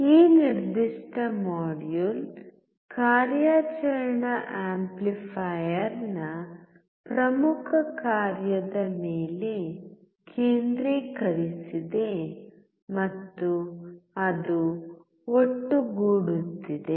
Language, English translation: Kannada, So, this particular module is focused on important function of an operational amplifier and that is summing